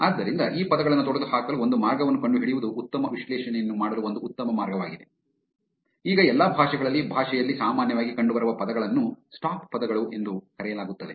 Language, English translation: Kannada, So, one good way to perform better analysis is to find a way to eliminate these words; now in all languages the most commonly appearing words in the language are known as stop words